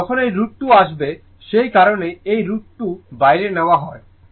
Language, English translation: Bengali, Actually everywhere root 2 will come that is why this root 2 is taken outside, right